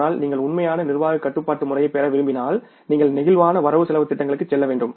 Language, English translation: Tamil, But if you want to have the real management control system, then you have to go for the flexible budgets